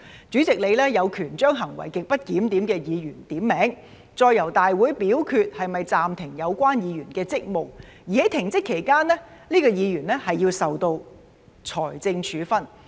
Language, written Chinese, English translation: Cantonese, 主席有權將行為極不檢點的議員點名，再由大會表決是否暫停有關議員的職務；而在停職期間，這名議員須受到財政處分。, The President has the power to name a Member whose conduct is grossly disorderly and the Council will then vote on whether to suspend the Member concerned from service; and during the period of suspension this Member shall be subject to a financial penalty